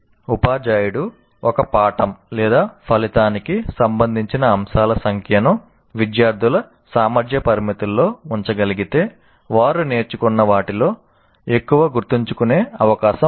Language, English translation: Telugu, So if the teacher can keep the number of items related to a lesson outcome within the capacity limits of students, they are likely to remember more of what they learned